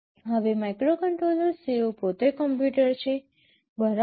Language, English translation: Gujarati, Now, microcontrollers are computers in their own right